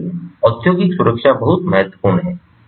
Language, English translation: Hindi, so industrial safety is very important